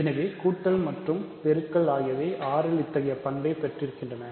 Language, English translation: Tamil, So, the multiplication on R also has the required properties